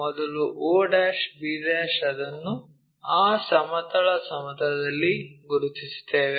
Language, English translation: Kannada, o to b' first of all we locate it on that horizontal plane